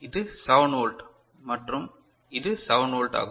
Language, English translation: Tamil, So, this is 7 volt and this is 7 volt